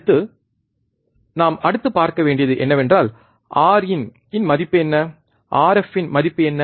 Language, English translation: Tamil, Next, what we have to see next is, what is the value of R in, what is the value of R f